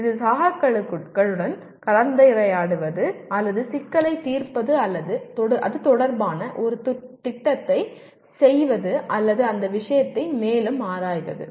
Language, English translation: Tamil, That is either discussing with peers or solving the problem or doing a project related to that or exploring that subject further